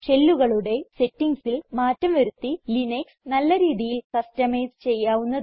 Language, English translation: Malayalam, Linux can be highly customized by changing the settings of the shell